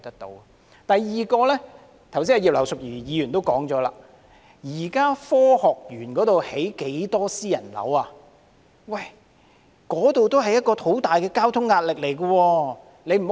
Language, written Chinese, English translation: Cantonese, 第二，葉劉淑儀議員剛才也提到，現在科學園有很多新建的私人屋苑，面對很大交通壓力。, Second as mentioned by Mrs Regina IP just now there are many newly - built private residential developments surrounding the Science Park which are facing great traffic pressure